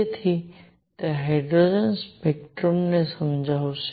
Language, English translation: Gujarati, So, it will explain hydrogen spectrum